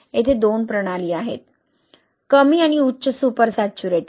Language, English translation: Marathi, Here are the two systems, the low and high super saturation